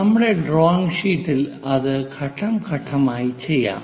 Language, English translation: Malayalam, Let us do that step by step on our drawing sheet